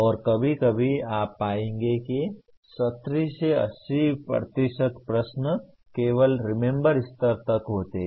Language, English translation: Hindi, And sometimes you will find even 70 to 80% of the questions belong merely to the Remember level